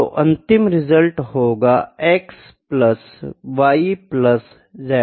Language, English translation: Hindi, So, the resultant if it is x into y by z